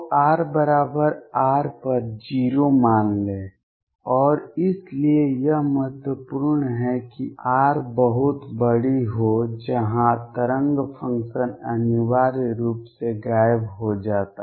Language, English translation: Hindi, Take u r to be 0 at r equals R and that is why it is important that capital r be very large where wave function essentially vanishes